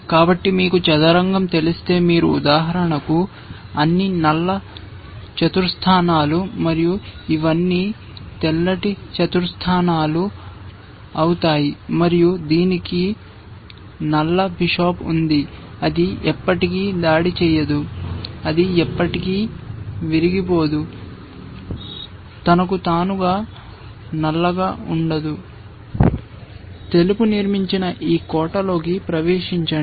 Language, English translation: Telugu, So, if you know chess you will see that you will be for example, all black squares and these will be all white squares, and it has a black bishop, it can never attack, it can never break, left to itself black can never break into this fortress that white has constructed